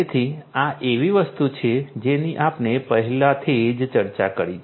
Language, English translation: Gujarati, So, this is something that we have already discussed